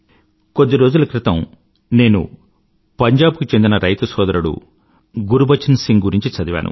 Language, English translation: Telugu, A few days ago, I was reading about a farmer brother Gurbachan Singh from Punjab